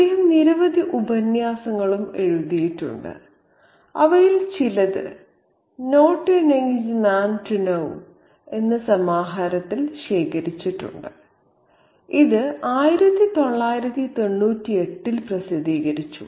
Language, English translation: Malayalam, He has also written a number of essays, some of which were collected in a collection called Not a Nice Man to Know, and it was published in 1998